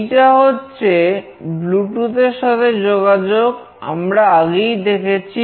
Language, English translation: Bengali, After doing this, the bluetooth